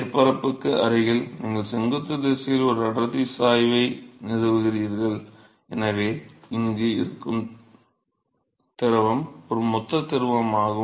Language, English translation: Tamil, So, therefore, close to the surface you establish a density gradient in the vertical direction and so, the fluid which is present here so, this is a bulk fluid